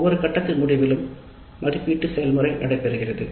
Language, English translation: Tamil, So, at the end of every phase we do have an evaluate process taking place